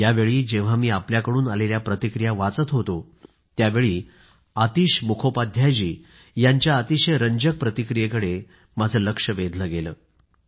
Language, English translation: Marathi, Once while I was going through your comments, I came across an interesting point by AtishMukhopadhyayji